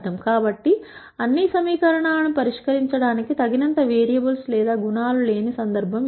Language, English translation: Telugu, So, this is the case of not enough variables or attributes to solve all the equations